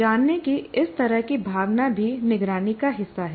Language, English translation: Hindi, So this kind of feelings of knowing is also part of monitoring